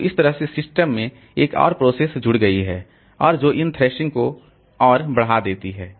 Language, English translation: Hindi, So, that way the, so another process added to the system and that increases this thrashing further